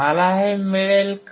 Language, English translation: Marathi, Would I get this